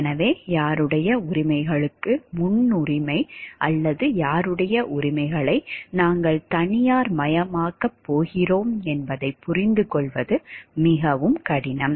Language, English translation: Tamil, So, it is very difficult to understand like whose rights will have a priority or whose rights are we going to privatize